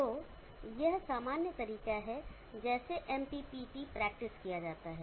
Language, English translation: Hindi, So this general way in which the MPPT is practiced